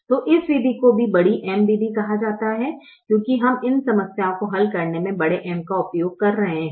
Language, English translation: Hindi, so this method is also called big m method because we are using the big m in solving these problems